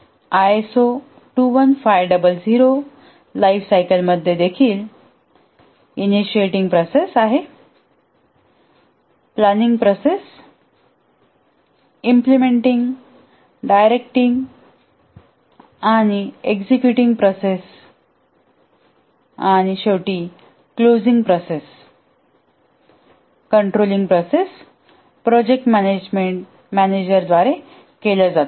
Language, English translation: Marathi, The ISO 21,500 lifecycle, here also we have the initiating processes, the planning processes, implementing or the directing or executing processes and finally the closing processes and throughout the controlling processes are carried out by the project manager